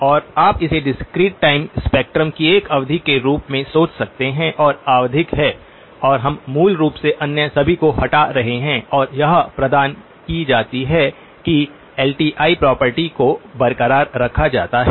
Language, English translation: Hindi, And you can think of it as one period of the discrete time spectrum which is periodic and we are basically removing all of the others and this is provided LTI property is retained